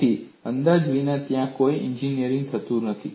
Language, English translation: Gujarati, So, without approximations, there is no engineering